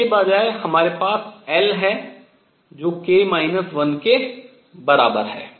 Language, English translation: Hindi, Instead what we have is l which is equal to k minus 1